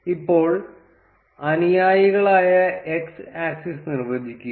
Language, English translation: Malayalam, Now define the x axis, which are the followers